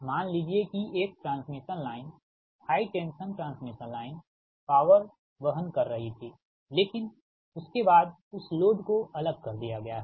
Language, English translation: Hindi, i repeat this: suppose a line transmission line, high tension transmission line, was carrying power, but after that that load is disconnected